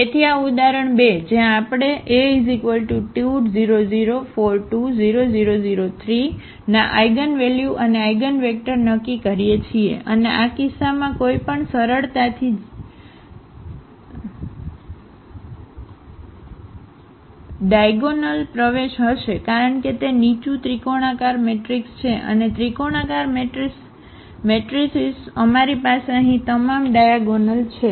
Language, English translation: Gujarati, So this example 2, where we determine the eigenvalues and eigenvectors of this A the matrix is given here 2 4 0 0 2 0 0 0 3 and in this case one can compute easily the eigenvalues will be the diagonal entries because it is a lower triangular matrix and for the triangular matrices, we have all the eigenvalues sitting on the diagonals here